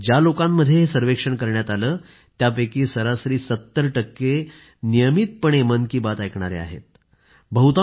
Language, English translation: Marathi, Out of the designated sample in the survey, 70% of respondents on an average happen to be listeners who regularly tune in to ''Mann Ki Baat'